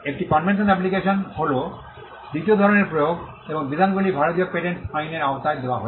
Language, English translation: Bengali, A convention application is the second type of application and the provisions are given under the Indian Patents Act